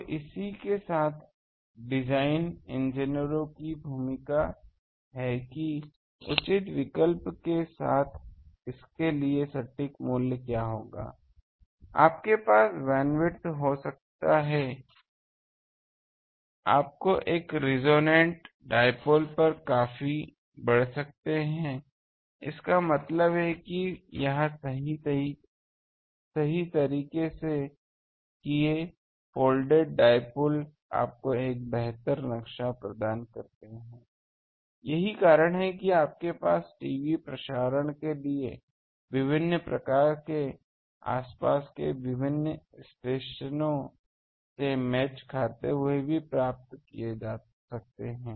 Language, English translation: Hindi, So, with the this is the design engineers role that with proper choice of what will be the exact value for this, you can have the bandwidth, you can be substantially increased over a resonance dipole; that means, if you properly do folded dipole gives you a better map that is why you can have for TV transmission that various, so apart from the impedance matching various nearby stations also could have been obtained